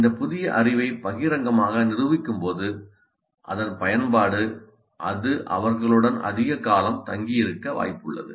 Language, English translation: Tamil, When they are able to publicly demonstrate this new knowledge in its application, it is likely that it stays with them for much longer periods